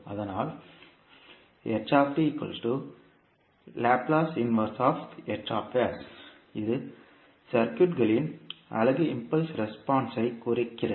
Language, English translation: Tamil, So, this represents unit impulse response of the circuit